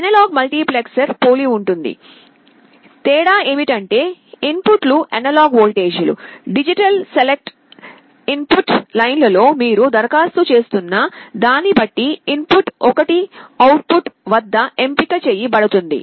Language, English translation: Telugu, Analog multiplexer is similar, the difference is that the inputs are analog voltages; one of the input will be selected at the output depending on what you are applying at the digital select input lines